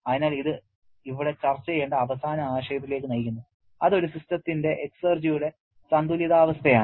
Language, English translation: Malayalam, So, this leads to the final concept that we had to discuss here which is the balance of exergy of a system